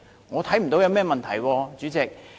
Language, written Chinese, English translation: Cantonese, 我看不到有任何問題，主席。, I do not see any problem at all President